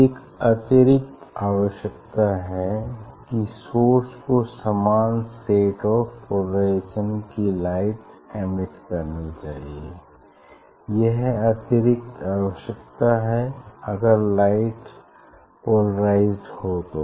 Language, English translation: Hindi, Additional requirements source must emit light in the same state of polarisation, this is the additional requirement, so if lights are polarized